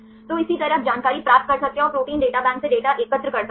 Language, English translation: Hindi, So, likewise you can get the information and collect the data from the Protein Data Bank